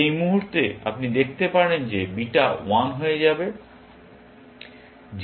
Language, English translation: Bengali, At this point, you can see that beta will become 1